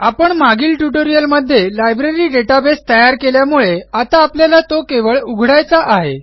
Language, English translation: Marathi, Since we already created the Library database in the last tutorial, this time we will just need to open it